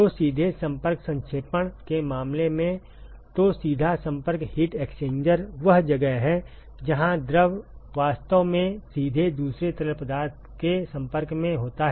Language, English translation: Hindi, So, in the in the case of direct contact condensation; so, direct contact heat exchanger is where the fluid is actually in contact with the other fluid directly